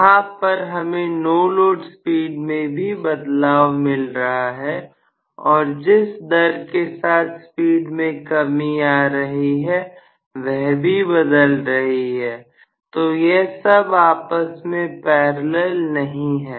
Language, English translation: Hindi, So, we are having variation in the no load speed itself and even the rate at which the speed is decreasing that is also changing so they are not parallel to each other